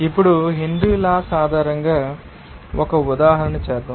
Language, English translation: Telugu, Now, let us do an example based on this Henry’s law